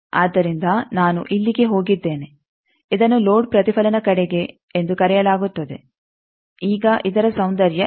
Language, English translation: Kannada, So, I have gone here this is called towards load reflection now what is the beauty of this